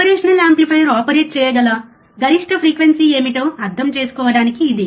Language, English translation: Telugu, But this is just to understand what is the maximum frequency that operational amplifier can operate it